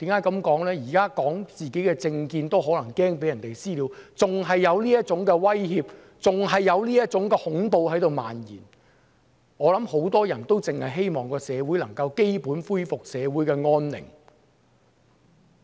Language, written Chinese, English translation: Cantonese, 因為現時表達自己的政見也擔心可能會被"私了"，還有這種威脅和恐怖在漫延，我相信很多人只希望社會能夠恢復基本安寧。, It is because I am worrying about the possible vigilantism on me when I express my own political opinions . With such threat and terror spreading I believe many people only hope that overall peace can be restored in our society